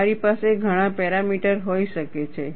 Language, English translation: Gujarati, You could have many parameters